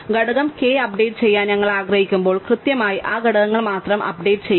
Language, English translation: Malayalam, When we want to update the component k, we exactly update only those components